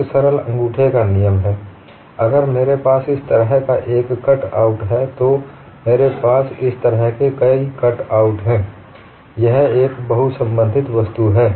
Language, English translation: Hindi, One simple thumb rule is, if I have cutouts like this, I have many cutouts like this; this is the multiply connected object